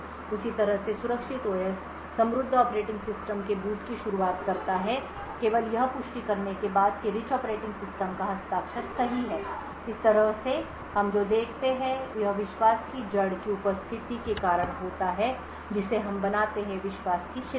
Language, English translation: Hindi, In a very similar way the secure OS initiates the boot of the rich operating system only after validating that the signature of the rich operating system is correct so in this way what we see is due to the presence of a root of trust we build a chain of trust